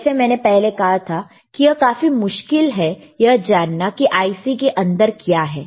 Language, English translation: Hindi, Llike I said, it is very difficult to understand what is within the IC, right